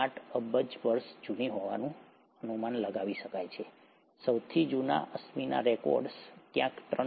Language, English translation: Gujarati, 8 billion years old, the earliest fossil records are somewhere about 3